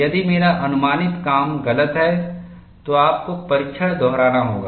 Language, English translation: Hindi, If my guess work is wrong, you have to repeat the test